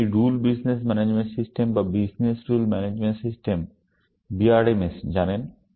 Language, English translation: Bengali, You know this Rule Business Management System or Business Rule Management System; BRMS